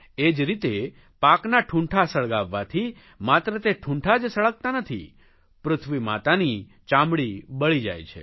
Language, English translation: Gujarati, So burning the stump of crops not only burns them, it burns the skin of our motherland